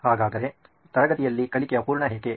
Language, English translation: Kannada, So why is learning incomplete in classroom